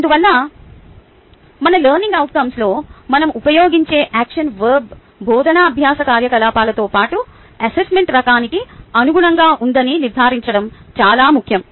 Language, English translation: Telugu, hence its important to ensure the action verb which we use in our ah learning outcome is in alignment with the teaching learning activity, as well as the type of assessment